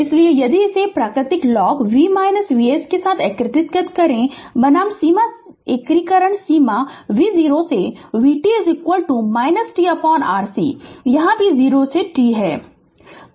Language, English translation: Hindi, So, if you integrate this with natural log ln v minus V s limit your integration limit is v 0 to v t is equal to minus t upon R C here also 0 to t